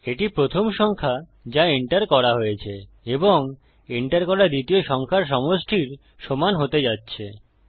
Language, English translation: Bengali, Thats going to be equal to the first number which was entered and added to the second number which was entered